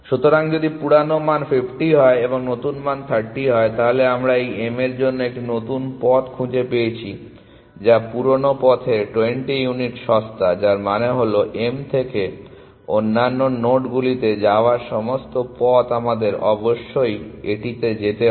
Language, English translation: Bengali, So, if the old value was 50 and the new value was 30, then we have found a new path to this m which is 20 unit cheaper than the old path which means that all path going from m to other nodes we must pass on this improvement to them essentially